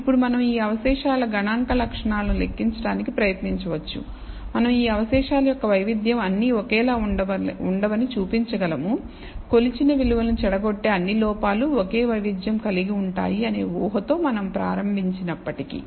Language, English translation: Telugu, Now we can try to compute the statistical properties of these residuals, and we will be able to show that the variance of these residuals are not all identical, even though we started with the assumption that all errors corrupting the measured values have the same variance